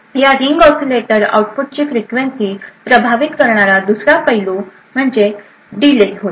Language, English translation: Marathi, Another aspect which influences the frequency of this ring oscillator output is the delay of each stage